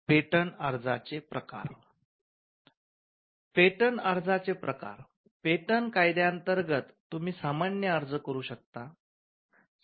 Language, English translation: Marathi, Types of applications; under the Patents Act, you can make an ordinary application